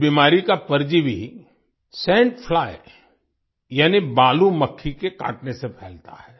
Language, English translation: Hindi, The parasite of this disease is spread through the sting of the sand fly